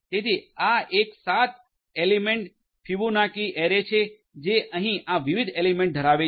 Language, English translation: Gujarati, So, this one will create a seven element Fibonacci array having these different elements over here